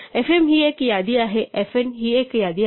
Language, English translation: Marathi, So fm is a list, fn is a list